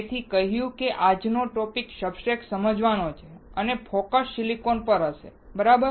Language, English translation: Gujarati, So, having said that the today’s topic is to understand the substrate and the focus will be on silicon, all right